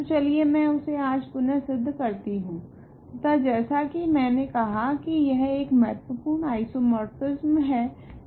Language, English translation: Hindi, So, let me re prove that today and as I said this is an important isomorphism